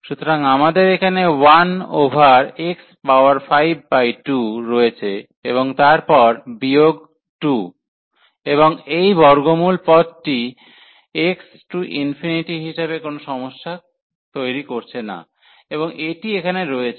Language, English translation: Bengali, So, we have 1 over here x power 5 by 2 and then minus 2, and this term square root which is not creating any trouble as x approaches to infinity, and this one here